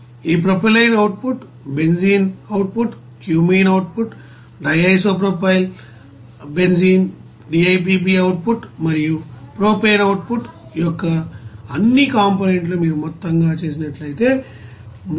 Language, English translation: Telugu, If you sum it up all those components of this propylene output, benzene output, cumene output, DIPB output and propane output you can get this 384